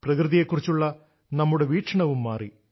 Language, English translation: Malayalam, Our perspective in observing nature has also undergone a change